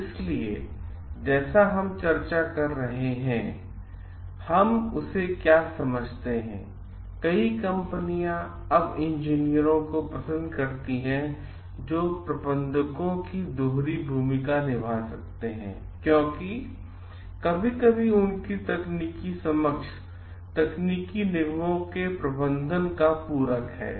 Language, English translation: Hindi, So, what we understand like as we are discussing; many companies now prefer engineers who can play the dual role of managers because sometimes their technical understanding complements the managing the technological corporations